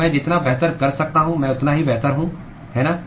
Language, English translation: Hindi, So, the better I can do the better placed I am, right